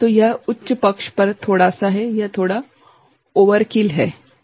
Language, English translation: Hindi, So, this is a bit on the higher side, it is a bit overkill, right